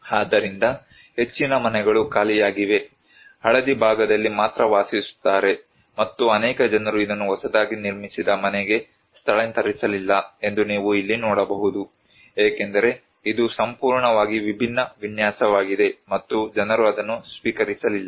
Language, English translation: Kannada, So, most of the houses are vacant, only yellow part you can occupied and you can see here that many people did not actually relocate it to the newly constructed house because it is a totally different layout and people did not accept that one